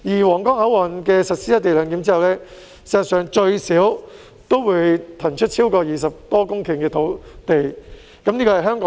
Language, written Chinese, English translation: Cantonese, 皇崗口岸實施"一地兩檢"後，在香港境內最少可騰出20多公頃土地。, Upon implementation of co - location arrangement at the Huanggang Port at least 20 hectares of land within Hong Kong will be freed up